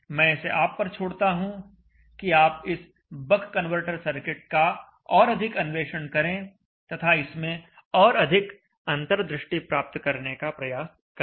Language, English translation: Hindi, I will leave it to you to the further explore this bug converter circuit and try to get more insight out of it